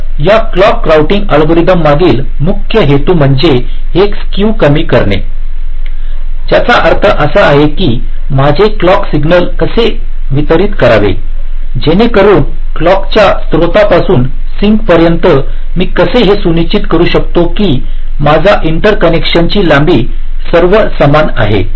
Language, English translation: Marathi, so the main objective behind these clock routing algorithms is to minimize this skew, which means how to distribute my clock signal such that, from the clock source down to the sink, how i can ensure that my inter connection lengths are all equal in length